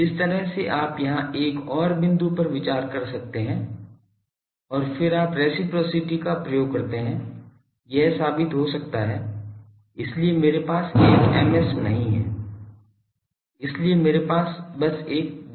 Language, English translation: Hindi, The same way you can consider another point here and then you invoke in reciprocity, this can be proved so I do not have an Ms so I have simply a Js